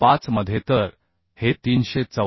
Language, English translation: Marathi, 9 so these values are 714